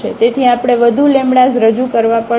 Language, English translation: Gujarati, So, we have to introduce more lambdas